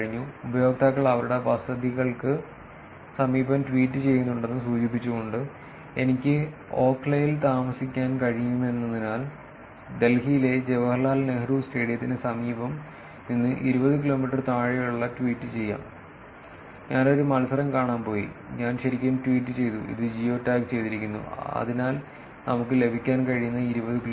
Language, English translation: Malayalam, Indicating that that there are users tweeting close to their residences, because I could be living in Okhla, I could be tweeting from somewhere near Jawaharlal Nehru Stadium in Delhi which is less than 20 kilometers, I went to watch a match and I actually posted tweet which is also geo tagged, so that is the kind of 20 kilometers that we can get